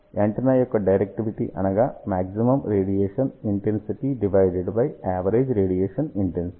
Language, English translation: Telugu, Well, directivity of the antenna is defined as maximum radiation intensity divided by average radiation intensity